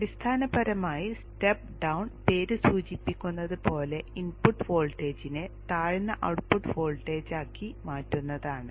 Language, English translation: Malayalam, So basically a step down as the name indicates converts the input voltage into a lower output voltage